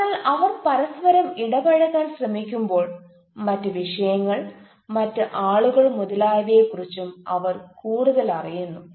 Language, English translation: Malayalam, so when they try to interact with each other disciplines, they also learn more about other disciplines, other people, etc